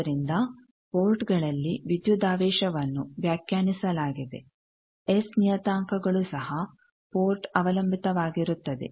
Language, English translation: Kannada, So, voltages are defined at ports S parameters are also port dependent